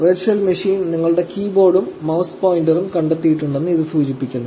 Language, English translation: Malayalam, These are just indicating that the virtual machine has detected your keyboard and your mouse pointer